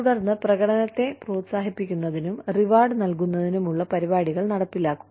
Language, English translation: Malayalam, And then, the implementation of programs, to encourage and reward performance